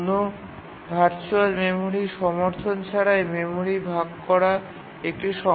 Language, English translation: Bengali, And also without virtual memory support, memory fragmentation becomes a problem